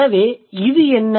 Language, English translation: Tamil, So what's this